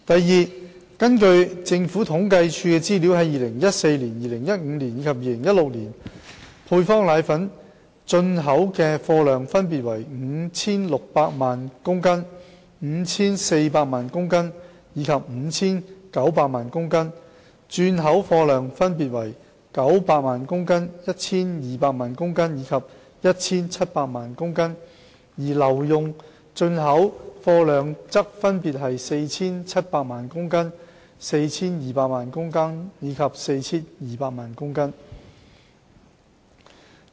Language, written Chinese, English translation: Cantonese, 二根據政府統計處的資料，在2014年、2015年及2016年，配方粉的進口貨量分別為 5,600 萬公斤、5,400 萬公斤及 5,900 萬公斤，轉口貨量分別為900萬公斤、1,200 萬公斤及 1,700 萬公斤，而留用進口貨量則分別為 4,700 萬公斤、4,200 萬公斤及 4,200 萬公斤。, 2 According to the Census and Statistics Department the volumes of import of powdered formulae in 2014 2015 and 2016 were 56 million kilogrammes kg 54 million kg and 59 million kg respectively; the volume of re - export of powdered formulae were 9 million kg 12 million kg and 17 million kg respectively; while the volume of retained import of powdered formulae were 47 million kg 42 million kg and 42 million kg respectively